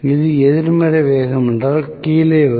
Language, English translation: Tamil, If this is negative speed will come down